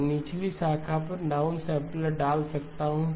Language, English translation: Hindi, I can insert a down sampler on the lower branch